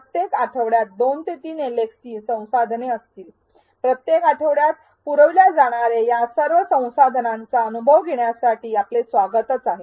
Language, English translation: Marathi, Every week will have two to three LxTs resources, you are most welcome to go through all of these resources provided each week